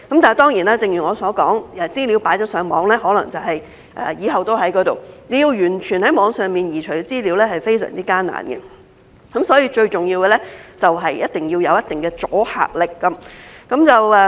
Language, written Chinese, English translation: Cantonese, 但是，正如我所說，資料上傳了互聯網，可能以後都在那裏，要完全移除在網上的資料是非常艱難，所以，最重要的是必須要有一定的阻嚇力。, However as I said the data uploaded to the Internet may be there forever and it is very difficult to completely remove the data from the Internet . Hence it is most important that the law must have some deterrent effect